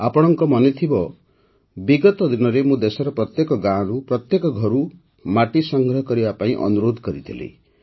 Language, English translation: Odia, You might remember that recently I had urged you to collect soil from every village, every house in the country